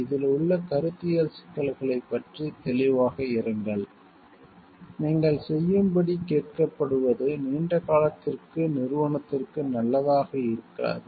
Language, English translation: Tamil, Be clear about the conceptual issues involved, what you are asked to do may not be good for the organization in the long run